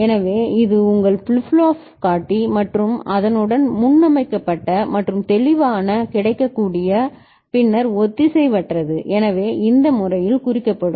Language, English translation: Tamil, So, this is your flip flop indicator and with it there is a preset and clear available ok, then asynchronous so it will be indicated in this manner